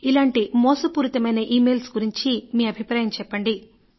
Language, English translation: Telugu, What is your opinion about such cheat and fraud emails